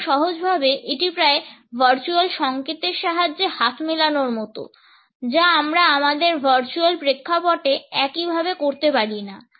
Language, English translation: Bengali, And it is simply, because it is almost like a signal of the virtual handshake which is something that, we cannot do in a same way in our virtual round